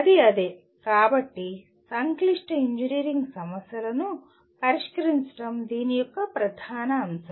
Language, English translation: Telugu, That is what it, so solving complex engineering problem is the core of this